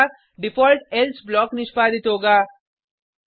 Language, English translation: Hindi, otherwise the default else block will get execute